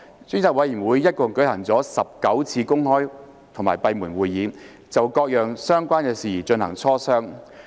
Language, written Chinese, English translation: Cantonese, 專責委員會一共舉行了19次公開或閉門會議，就各樣相關事宜進行磋商。, The Select Committee has held a total of 19 open or closed meetings to discuss various relevant matters